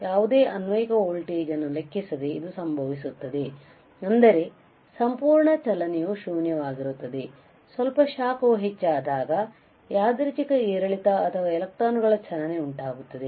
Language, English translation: Kannada, It happens regardless of any apply voltage that means, that you see motion at absolute is zero, slight heating will cause a random fluctuation or motion of the electrons